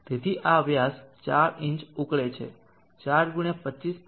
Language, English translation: Gujarati, So this dia 4inch boils into 4 x 25